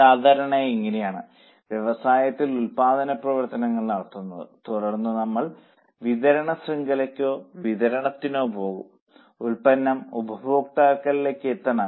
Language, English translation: Malayalam, Normally this is how business functions, some production may be done, then we will go for supply chain or distribution and the product is supposed to reach the customer